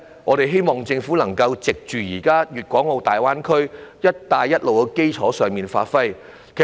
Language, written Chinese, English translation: Cantonese, 我們希望政府能夠在現時粤港澳大灣區、"一帶一路"的基礎上加以發揮。, We hope that the Government can give play to it on the basis of the existing Guangdong - Hong Kong - Macao Greater Bay Area and the Belt and Road Initiative